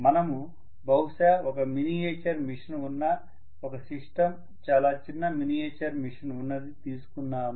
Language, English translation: Telugu, But let us probably take a system where it is a miniaturized machine